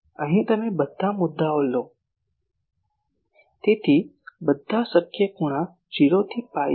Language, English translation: Gujarati, Here you take all the points; so, all possible angles 0 to pi